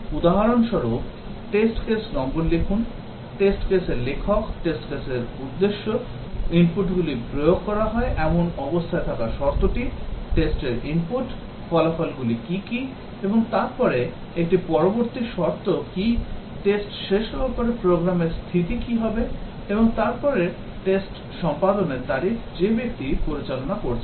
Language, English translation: Bengali, For example, writing the test case number, test case author, test purpose, the precondition that is the state at which the inputs are to be applied, the test input, what are the outputs and then what is a post condition, what would be the program state after the test has completed, and then test execution date, the person conducting